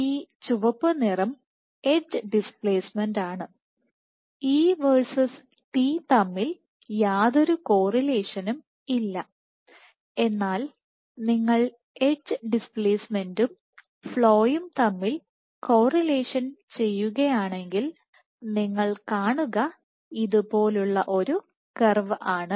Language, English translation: Malayalam, So, what you have your red is the edge displacement there is no correlation between E versus T, but if you do the correlation between edge displacement versus flow what you will observe is a curve which is like this